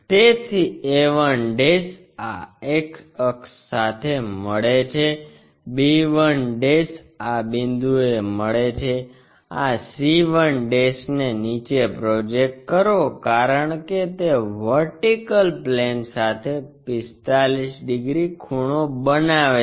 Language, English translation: Gujarati, So, a 1' meeting this x axis, b 1' meeting at this point, project this c 1' all the way down because it is supposed to make 45 degrees with VP